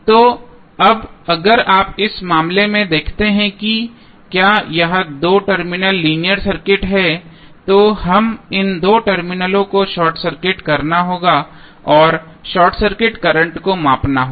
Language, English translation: Hindi, So, now if you see in this case if this is a two terminal linear circuit we have to short circuit these two terminals and we have to measure the current that is short circuit current